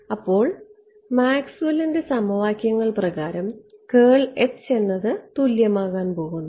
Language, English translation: Malayalam, So, now, curl of H by Maxwell’s equations is going to be equal to